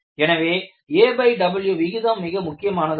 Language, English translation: Tamil, So, a by W ratio is very important